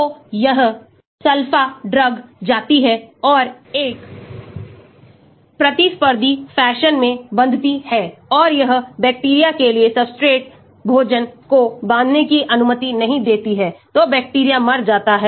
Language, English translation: Hindi, so this sulpha drug goes and binds in a competitive fashion and it does not permit the substrate food for the bacteria to bind, so the bacteria dies